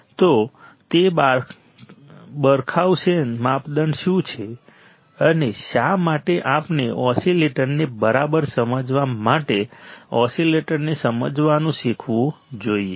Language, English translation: Gujarati, So, what is that Barkhausen criterion, and why we must learn to understand the oscillator to understand the oscillator all right